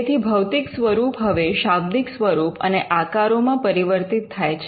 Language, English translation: Gujarati, So, the physical embodiment now gets converted into words and figures